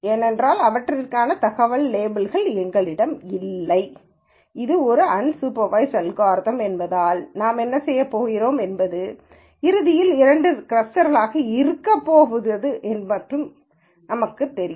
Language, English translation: Tamil, Because we have no information labels for these and this is an unsupervised algorithm what we do is we know ultimately there are going to be two clusters